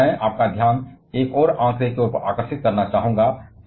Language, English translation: Hindi, But I would like to attract your attention to another figure